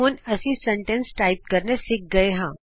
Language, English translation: Punjabi, We have now learnt to type sentences